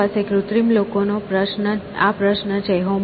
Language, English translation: Gujarati, We have this question of artificial people